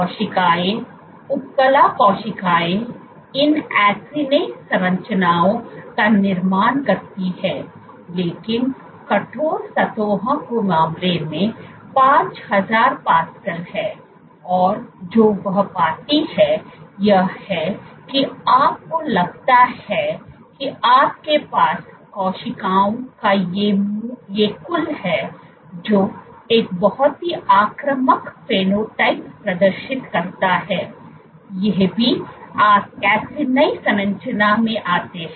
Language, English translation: Hindi, The cells, epithelial cells form these acini structures, they form this acini structures, but in case of stiff surfaces order 5,000 pascals what she found was you have these aggregate of cells which exhibit a very invasive phenotype, these are also to the acini structure falls